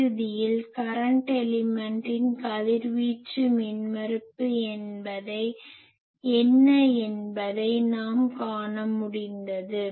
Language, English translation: Tamil, And ultimately we could see that a current element what is its radiation resistance